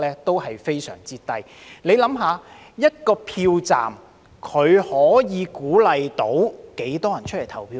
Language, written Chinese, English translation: Cantonese, 大家想一想，一個票站可以鼓勵多少人出來投票呢？, Members can imagine how many people can be encouraged to come out and vote at one polling station